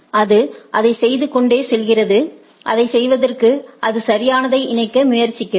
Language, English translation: Tamil, It goes on doing that and in order to do that it attempts to converge right